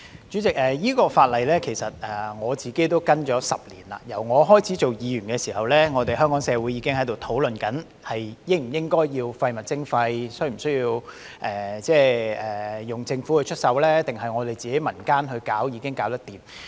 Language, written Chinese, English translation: Cantonese, 主席，我跟進了這項法例10年，由我開始擔任議員起，香港社會已經在討論應否推行廢物徵費，是否需要由政府出手，還是民間自行推動已能做到。, President I have been following up the legislation for 10 years . Since I first became a Member society of Hong Kong has been discussing whether waste charging should be implemented whether the Government should intervene and whether this can be carried out by the community itself